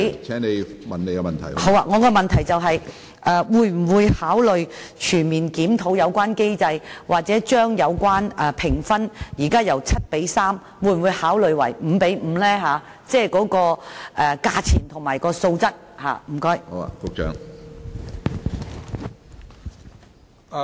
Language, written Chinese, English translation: Cantonese, 我的補充質詢是：政府會否考慮全面檢討有關機制，又或調整評分制度中價錢和素質的比例，由現時的 7:3 調整至 5:5？, Alright my supplementary question is Will the Government consider conducting a comprehensive review of the relevant mechanism or adjust the price and quality proportion under the marking scheme from 7col3 to 5col5?